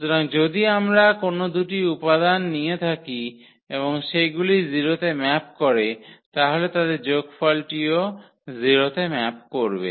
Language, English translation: Bengali, So, if we take any 2 elements and they map to the 0, so, their sum will also map to the 0